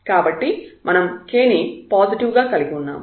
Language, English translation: Telugu, So, then we have that for k positive